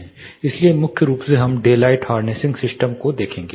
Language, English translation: Hindi, So, primarily we will look at daylight harnessing systems